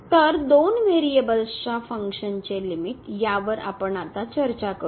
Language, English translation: Marathi, So, Limit of a Function of One Variable